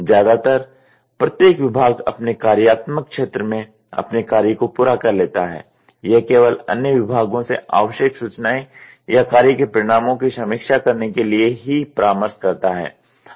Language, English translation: Hindi, For the most part, each department has completed it’s work within it is own functional area, consulting other departments only to obtain informations needed or to review the results of the task in sequence